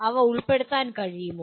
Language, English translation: Malayalam, Whether they could be included